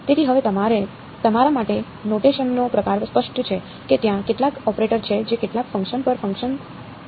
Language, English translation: Gujarati, So, now the sort of notation is clear to you right there is some operator which acts on some function and output is f of r